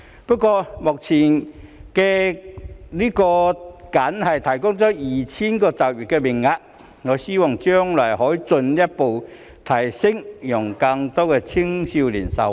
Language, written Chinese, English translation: Cantonese, 不過，這項計劃目前僅提供 2,000 個就業名額，我希望將來可以進一步增加，讓更多青少年受惠。, However since this scheme currently only provides 2 000 employment places I hope the number of places can be further increased in the future to benefit more youngsters